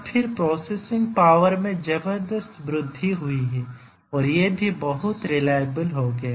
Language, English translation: Hindi, And then the processing power has tremendously increased and also these are become very very reliable